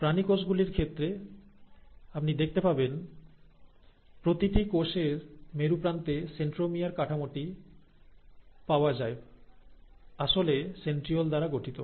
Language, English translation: Bengali, Now, in case of animal cells, what you find is each cell at one of its polar end has this structure called as the centrosome which actually is made up of centrioles